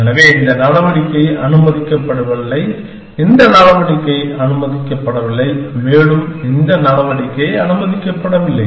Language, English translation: Tamil, So, we say this move is not allowed, this move is not allowed and this move is not allowed